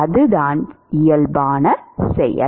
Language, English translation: Tamil, That is the normal process